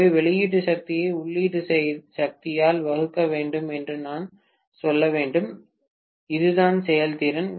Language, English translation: Tamil, So, I have to say output power divided by input power, this is what is efficiency, right